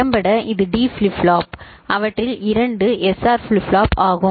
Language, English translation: Tamil, Effectively this one is D flip flop, it is two of them are SR flip flop